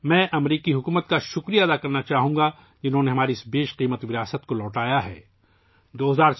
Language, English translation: Urdu, I would like to thank the American government, who have returned this valuable heritage of ours